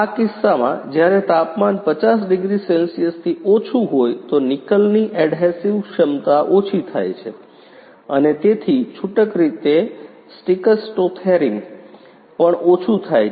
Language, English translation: Gujarati, In case when the temperature is lower than 50 degrees Celsius then adhesive capacity of the nickel lowers and hence loosely sticks to the rim